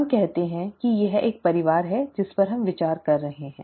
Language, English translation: Hindi, Let us say that this is a family that we are considering